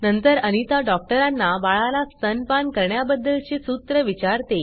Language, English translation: Marathi, Then, Anita asks the doctor about formula feeding the baby